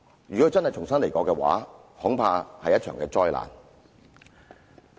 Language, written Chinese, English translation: Cantonese, 如果想要重新得到的話，恐怕是一場災難。, I am afraid it will entail a disastrous event if we wish to recover our memory of it